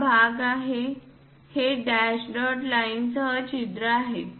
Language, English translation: Marathi, This part is 8; this is the hole with dash dot lines